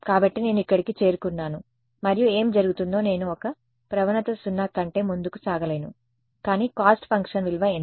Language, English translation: Telugu, So, I reach here and what happens I cannot proceed any further the gradient is 0, but what is the value of the cost function